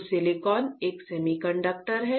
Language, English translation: Hindi, So, silicon is a semiconductor, right